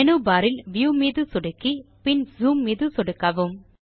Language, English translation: Tamil, Click on the View option in the menu bar and then click on Zoom